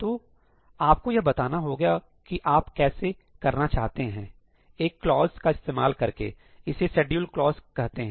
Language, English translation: Hindi, So, you can actually specify how you want that to be done by using a clause it is called the schedule clause